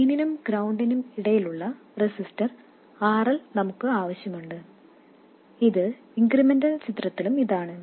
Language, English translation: Malayalam, And we want the resistor RL between the drain and ground, which is this, which is also this in the incremental picture